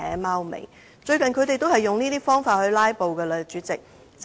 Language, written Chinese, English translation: Cantonese, 他們最近也曾經利用這方法進行"拉布"。, They have also used this method recently to stage filibusters